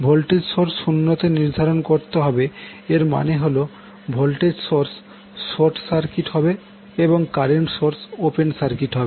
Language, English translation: Bengali, Setting voltage source equal to 0 means the voltage source will be short circuited and current source will be the open circuited